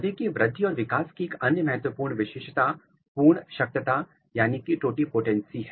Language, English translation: Hindi, Another important characteristic feature of plant growth and development is totipotency nature of the plants